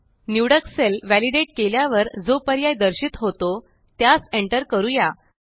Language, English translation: Marathi, Lets enter the options which will appear on validating the selected cell